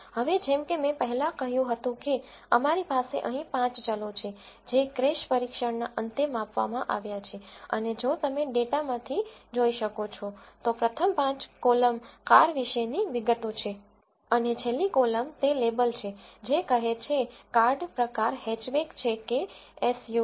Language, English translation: Gujarati, Now, like I said earlier we have 5 variables here which have been measured at the end of a crash test and if you can see from the data, the first five columns are the details about the car and the last column is the label which says whether the card type is hatchback or SUV